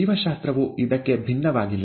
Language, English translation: Kannada, Biology is no different